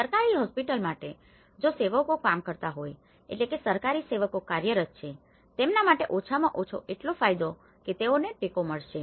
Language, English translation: Gujarati, For Government Hospital, if it is servants were working, government servants who are working, for them at least they have some benefit that they will be supported